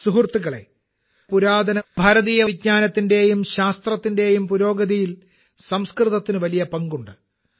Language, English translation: Malayalam, Friends, Sanskrit has played a big role in the progress of ancient Indian knowledge and science